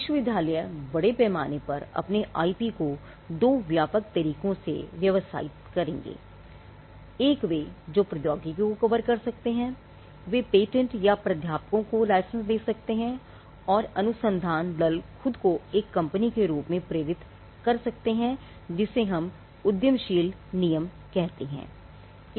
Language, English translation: Hindi, Now, universities would largely commercialize their IP in two broad ways: one they could license the technology that is covered; they would they could license the patents or the professors and the research team could itself incubate a company which is what we call the entrepreneurial rule